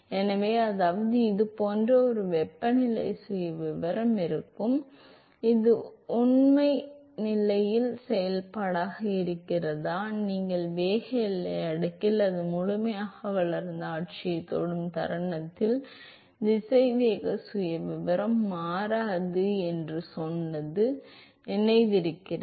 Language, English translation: Tamil, So, which means that, so there will be a temperature profile which looks like this, is this is the function of factual position, you remember in velocity boundary layer we said moment it touches the fully developed regime the velocity profile does not change